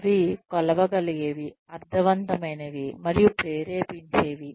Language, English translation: Telugu, They should be measurable, meaningful, and motivational